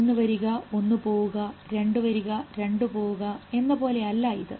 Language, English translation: Malayalam, It is not a one comes and one will go out, two come and two will go